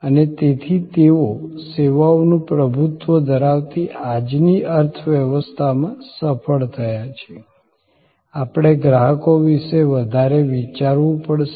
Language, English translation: Gujarati, And therefore, they succeed in this service dominated economy of today; we have to think deeper about customers